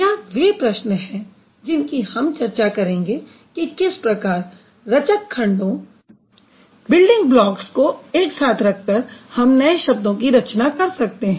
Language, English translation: Hindi, So, these are the questions that we are going to talk about how the building blocks are kept together to create new words